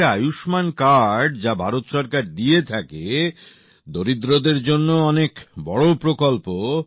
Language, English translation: Bengali, This Ayushman card, Government of India gives this card